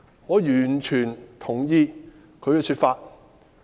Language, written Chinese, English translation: Cantonese, 我完全同意他的說法。, I fully agree with what he said